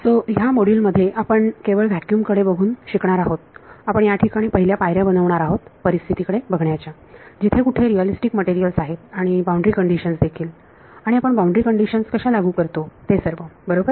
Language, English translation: Marathi, So, in this module we are going to graduate from looking at just vacuum, we are going to make the first steps to look at the situations where there are realistic materials and also boundary conditions how we will impose boundary conditions right